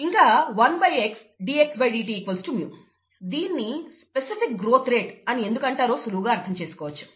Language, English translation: Telugu, And one by x dxdt equals mu, it is easy to see why it is called the specific growth rate